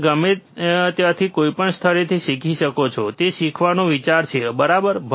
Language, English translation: Gujarati, You can learn from anywhere, any place, that is the idea of the learning, right